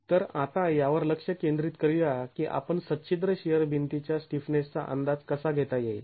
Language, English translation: Marathi, So, let's now focus on how do you go about estimating the stiffness of a perforated shear wall